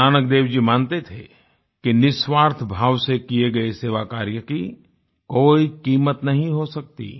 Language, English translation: Hindi, Guru Nank Dev ji firmly believed that any service done selflessly was beyond evaluation